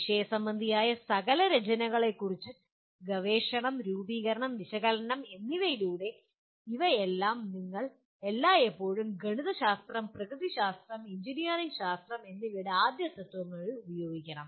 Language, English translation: Malayalam, But in all these through the analysis or researching the literature, formulation, you have to be always using first principles of mathematics, natural sciences, and engineering sciences